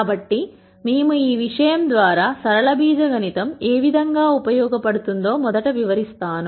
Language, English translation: Telugu, So, we rst start by explaining what linear algebra is useful for